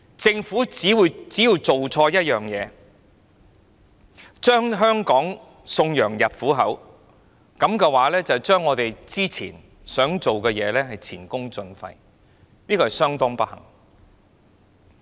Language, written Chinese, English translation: Cantonese, 政府只要做錯一件事，便將香港送羊入虎口，這樣我們過去所做的便前功盡廢，這是相當不幸的。, A single mistake made by the Government will send Hong Kong into the lions den and all our hard work in the past will be rendered futile